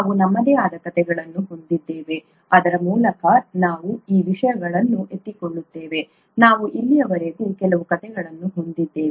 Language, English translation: Kannada, We have our own stories through which we pick up these things; we have had a few stories so far